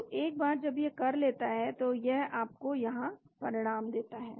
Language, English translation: Hindi, So once it does it gives you the result here